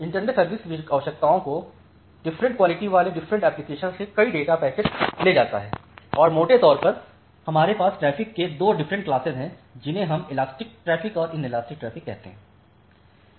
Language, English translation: Hindi, So, internet carries multiple data packets from different applications having different quality of service requirements and broadly we have 2 different classes of traffics we call them as the elastic traffic and inelastic traffic